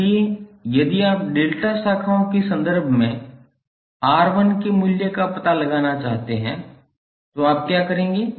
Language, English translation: Hindi, So if you want to find out the value of R1 in terms of delta branches, what you will do